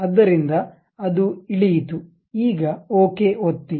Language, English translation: Kannada, So, it went down; now, click Ok